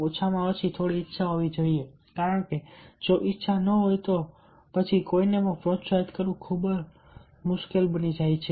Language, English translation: Gujarati, at least some willingness should be there, because if there is no willingness, then it becomes really very, very difficult to met motivate anybody